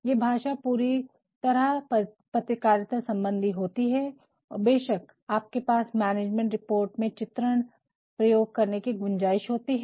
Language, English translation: Hindi, A language is totally journalistic and of course, you have scope forthe use of illustrations in a management report